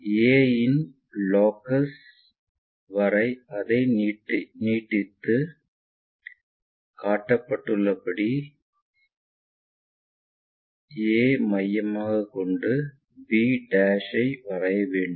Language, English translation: Tamil, Extend it up to the locus of a and rotating a' as center locate b' as shown